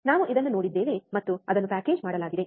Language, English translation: Kannada, We have seen this and it is packaged